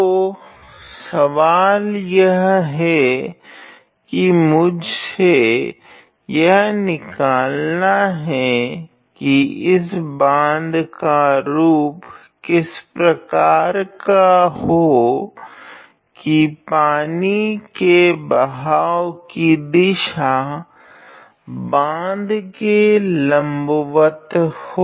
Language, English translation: Hindi, So, the problem says that I have to find what is the shape of this particular dam such that the water is flowing perpendicular to the dam